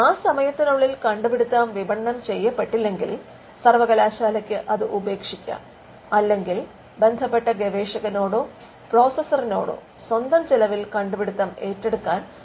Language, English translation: Malayalam, So, if an invention has not been marketed there is a time period until which the university will support the invention and beyond that the university may abandon it or it would ask the concerned researcher or the processor to take the invention at their own cost